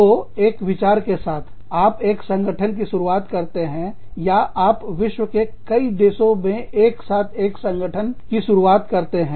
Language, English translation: Hindi, So, you start an organization, with the idea, or, you start an organization, in several countries, across the world, simultaneously